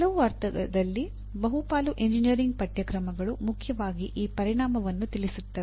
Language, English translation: Kannada, In some sense majority of the engineering courses, mainly address this outcome